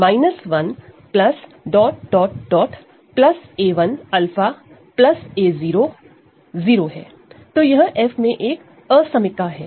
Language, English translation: Hindi, So, this is a inequality in capital F